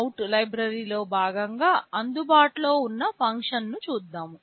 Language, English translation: Telugu, Let us look at the functions that are available as part of the PwmOut library